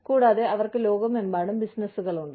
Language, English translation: Malayalam, And, they have businesses, all over the world